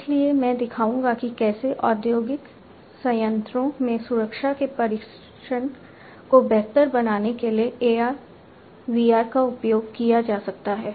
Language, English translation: Hindi, So, I will showcase how AR VR can be used to improve the training of safety in industrial plants